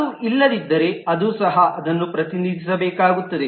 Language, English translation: Kannada, If it is not, then that will also have to represent it